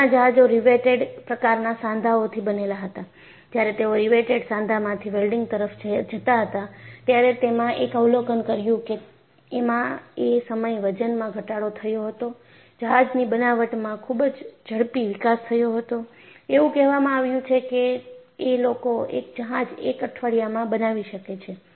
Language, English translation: Gujarati, Because previously ships were made of riveted joints and when they moved over from riveted joints to welding, first thing they observed was, there was weight reduction; very quick in fabricating the ship; I was told that, within a week they could fabricate one ship